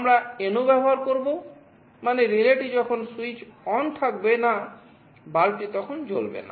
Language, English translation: Bengali, We will be using NO, means when the relay is not switched ON the bulb will not glow